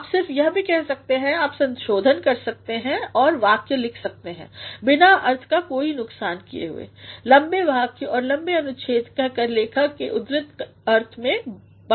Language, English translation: Hindi, All you can do is, you can revise it and write a sentence without any loss of meaning by saying long sentences and paragraphs hamper the writers intended meaning